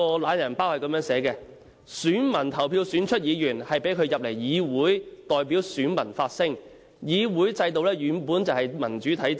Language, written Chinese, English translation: Cantonese, "懶人包"這樣寫："選民投票選出議員，讓他進入議會代表選民發聲，議會制度本來就是民主的體現。, The digest says A Member is returned by his electors to represent and speak for them in the Council and the Council system basically manifests democracy